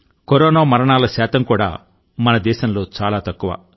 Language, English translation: Telugu, The mortality rate of corona too is a lot less in our country